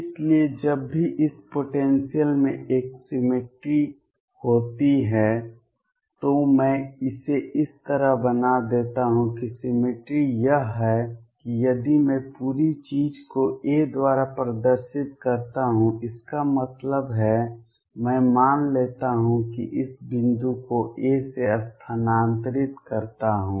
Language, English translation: Hindi, So, whenever there is a symmetry in this potential let me make it like this the symmetry is that if I displays the whole thing by a; that means, I shift suppose this point by a